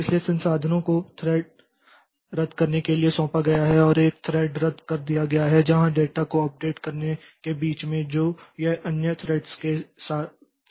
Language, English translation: Hindi, So, resources have been allocated to cancel thread and a thread is canceled where in the middle of updating the data, it is sharing with other threads